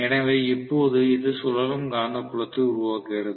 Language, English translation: Tamil, So, now this creates the revolving magnetic field